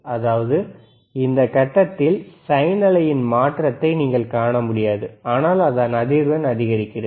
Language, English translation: Tamil, Tthat means, you at this point, you will not be able to see the change in the sine wave, that it is increasing the frequency